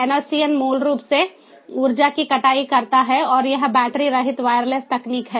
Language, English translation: Hindi, basically harvests energy and it is battery free wireless technology